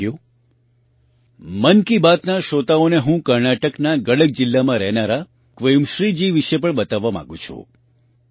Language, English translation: Gujarati, Friends, I would also like to inform the listeners of 'Mann Ki Baat' about 'Quemashree' ji, who lives in Gadak district of Karnataka